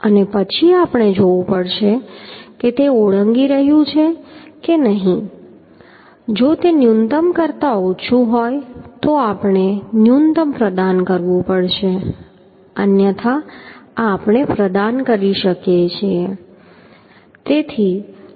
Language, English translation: Gujarati, And then we have to see whether it is exceeding or not if it is less than the minimum then we have to provide the minimum otherwise this we can provide right